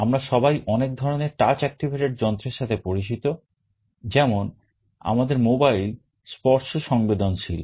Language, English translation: Bengali, We are all familiar with many of the touch activated devices, like our mobiles are touch sensitive